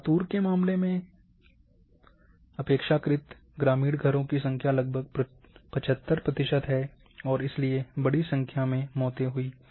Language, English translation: Hindi, Relatively in case of Latur the number of houses in a rural category where of about 75 percent, and therefore large number of deaths